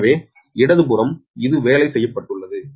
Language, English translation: Tamil, so left hand side, this, this has been worked out right